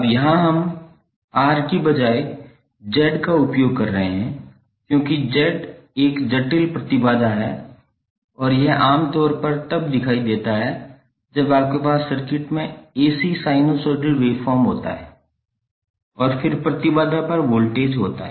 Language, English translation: Hindi, Now here we are using Z instead of R, because Z is the complex impedance and is generally visible when you have the AC sinusoidal wave form in the circuit and then the voltage across the impedance